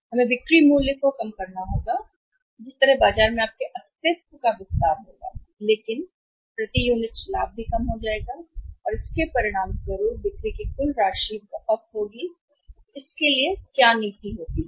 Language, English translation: Hindi, We have to reduce the selling price that way your existence in the market will expand but the profit per unit will go down but the total amount of the sales will be very high as a result of this policy what happens